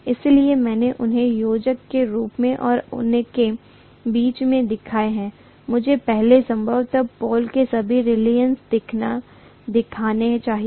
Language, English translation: Hindi, So I have shown them as additive and in between them, I should probably show first of all the reluctance of the pole itself, right